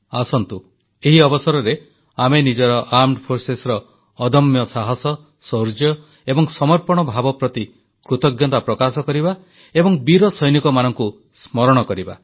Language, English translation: Odia, On this occasion, let us express our gratitude for the indomitable courage, valour and spirit of dedication of our Armed Forces and remember the brave soldiers